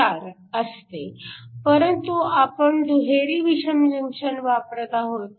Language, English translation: Marathi, 4, but we are using a double hetero junction